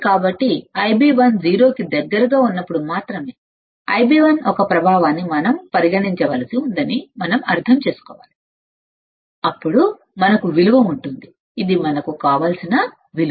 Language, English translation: Telugu, So, we have to understand that we have to consider the effect of I b 1 only when I b 1 is close to 0 then we can have value which is our desired value all right